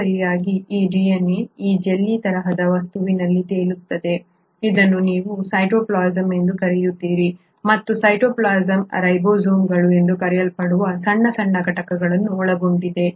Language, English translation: Kannada, In addition, this DNA is floating in this jellylike substance which is what you call as a cytoplasm and the cytoplasm consists of tiny little components which are called as ribosomes